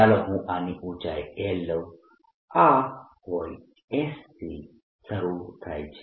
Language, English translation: Gujarati, let me take the height of this to be l